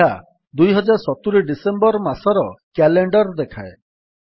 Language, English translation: Odia, This gives the calendar of December 2070